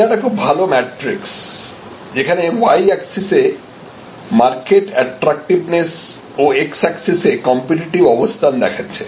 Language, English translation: Bengali, This is a nice matrix, where we have on one side on the y access we have market attractiveness and on the x access we have competitive position